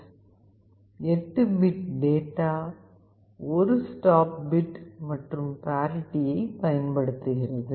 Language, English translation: Tamil, 2 kbps, 8 bit of data, 1 stop bit and parity